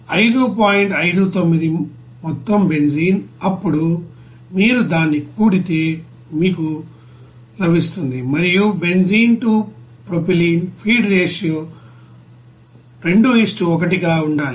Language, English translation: Telugu, 59 total benzene then required if you sum it up you will get and it is given that benzene to propylene feed ratio should be 2 : 1